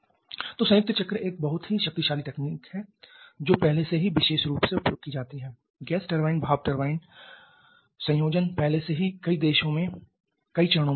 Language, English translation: Hindi, So, combined cycle is a very potent technology already used particularly the gas turbine steam turbine combination is already in use in several phases in several countries